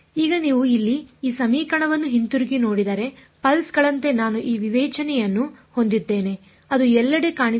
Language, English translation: Kannada, Now if you look back at this equation over here, this is what I am discretising as pulses there is this term also over here which is going to appear everywhere